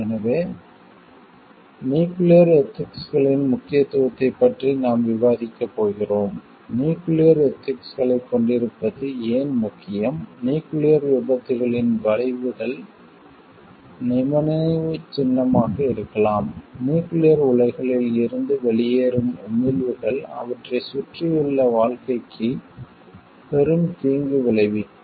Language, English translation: Tamil, So, based on that we are going to discuss about the importance of nuclear ethics, why it is important for having a nuclear ethics is consequences of nuclear accidents can be monumental, emissions from nuclear reactors can cause huge harm to the life around them